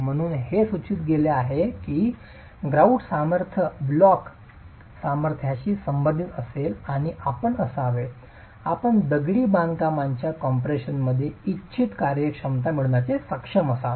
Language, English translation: Marathi, That is the reason why it is prescribed that keep the grout strength close to the block strength properties and you should be able to get desirable performance in compression of the masonry itself